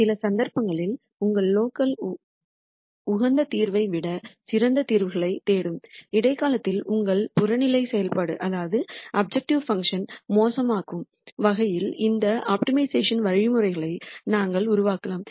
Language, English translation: Tamil, In some cases we might construct these optimization algorithms in such a way that you might actually make your objective function worse in the interim, looking for better solutions than your local optimum solution